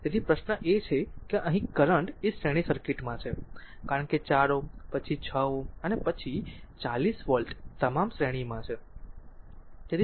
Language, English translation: Gujarati, So, question is that here we have to be current is simple series circuit, because 4 ohm, then 6 ohm, then 40 volt all are ah in series